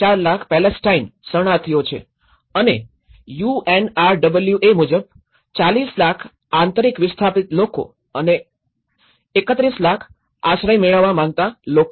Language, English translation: Gujarati, 4 million Palestine refugees and UNRWAís mandate and the 40 million internally displaced people and 31 million asylum seekers